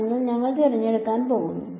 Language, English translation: Malayalam, So, we are going to choose